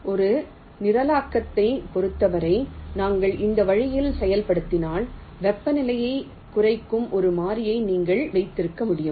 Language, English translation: Tamil, say, if we implement in this way, while in terms a programming you can keep a variable that represents the temperature